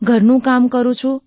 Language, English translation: Gujarati, I do housework